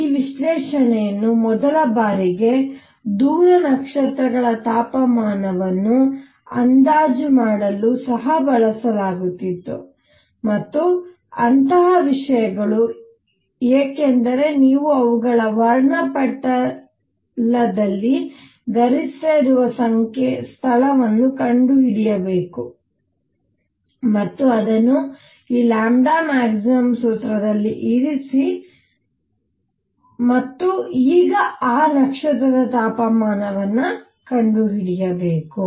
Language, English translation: Kannada, This analysis was also used for the first time to estimate the temperature of distance stars, and things like those because you have to find in their spectrum where lambda max is and put that in this formula and find the temperature of that now that star